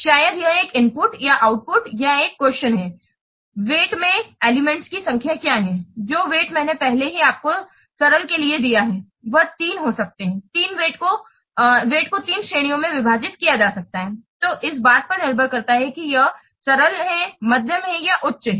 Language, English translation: Hindi, This will be called to summation of number of elements of the given type maybe it is a input or output or query what is the number of elements into the weight I have already given you for simple there can be three the weights can be divided into three categories depending on whether it is simple or medium or high